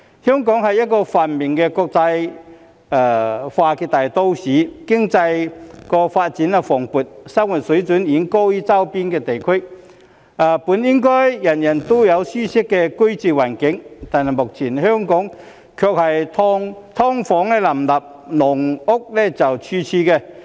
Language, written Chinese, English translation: Cantonese, 香港是一個繁榮的國際化大都市，經濟發展蓬勃，生活水平遠高於周邊地區，本應人人都擁有舒適的居住環境，但目前卻是"劏房"林立、"籠屋"處處。, Hong Kong is a prosperous international metropolitan with vibrant economic development and our living standard way higher than adjacent regions . As such everyone should be having a comfortable living environment; but now there are SDUs abound and caged homes everywhere